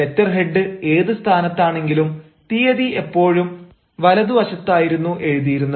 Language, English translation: Malayalam, let the letter head be where it is, but you know, the date line is always written on the right hand side